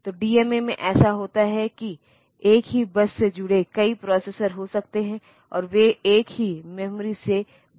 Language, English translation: Hindi, So, in DMA what happens is that there may be multiple processors connected to the same bus and they are talking to the same memory